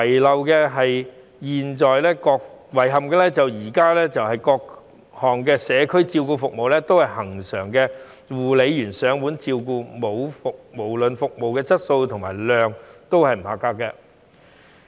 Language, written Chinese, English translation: Cantonese, 令人遺憾的是，現時各項社區照顧服務都是恆常由護理員上門照顧，無論服務質素及質量亦不及格。, It is regrettable that the various community care services which are constantly provided by carers at the residence of the elderly persons are not up to standard in both quality and quantity